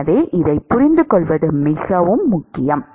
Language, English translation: Tamil, So, it is very important to understand this